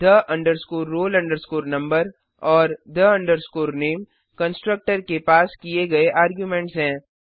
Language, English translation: Hindi, the roll number and the name are the arguments passed to the constructor